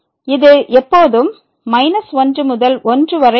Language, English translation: Tamil, This is always between minus and